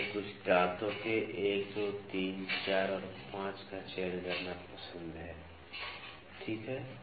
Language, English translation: Hindi, I like to select a few teeth’s 1, 2, 3, 4, 5, ok